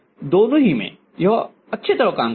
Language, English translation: Hindi, In both the case it will work quite well